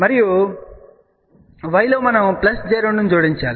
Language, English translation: Telugu, And in y we have to add plus j 2